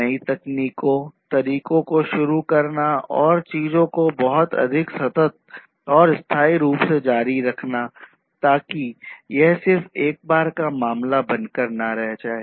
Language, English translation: Hindi, And, also to introduce newer techniques methods etc etc and continue the same things in a much more consistent sustainable manner, so that you know it does not become a one time kind of affair